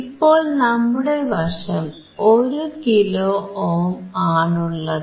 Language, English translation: Malayalam, So, we have now 1 kilo ohm